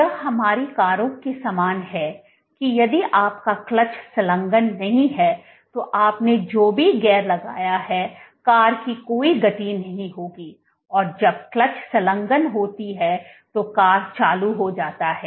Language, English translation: Hindi, It is similar to our cars that if your clutch is not engaged then there no matter what gear you put there will be no motion of the car only when the clutch gets engaged is motion generated